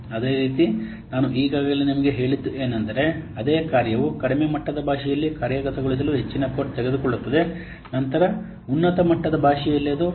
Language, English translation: Kannada, And similarly what this I have already told you, the same functionality takes more code to implement in a low level language than in a high level language, isn't it